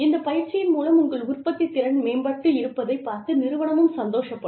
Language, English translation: Tamil, The organization also has a record of the training, having improved your productivity